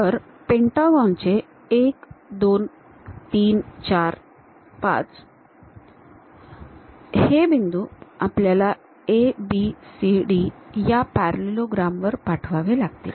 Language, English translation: Marathi, So, the points of the pentagon 1 2 3 4 and 5 we have to transfer that onto this parallelogram ABCD parallelogram